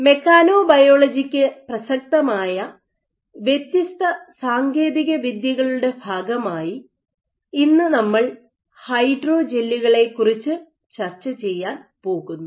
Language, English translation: Malayalam, So, as part of the different techniques relevant to mechanobiology today we are going to discuss about hydrogels